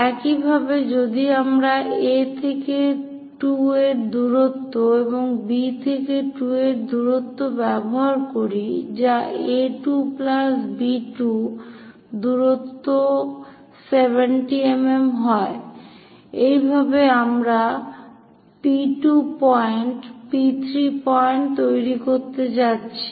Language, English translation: Bengali, Similarly, if we are using A to 2 distance and B to 2 distance that is also consists of A 2 plus B 2 distance that is also 70 mm; in that way, we will be going to construct P 2 point P 3 point and so on things